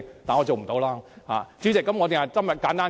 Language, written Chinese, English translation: Cantonese, 代理主席，我今天只會簡單發言。, Deputy President I will only speak briefly today